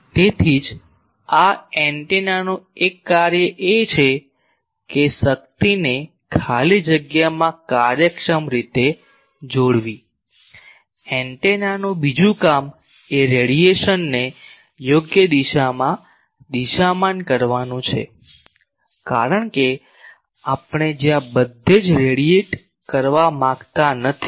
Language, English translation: Gujarati, So, that is why one task of antenna is to efficiently couple the power to the free space, another job of antenna is to direct the radiation in the proper direction, because we do not want to radiate everywhere we want to radiate where we want it to be received by someone else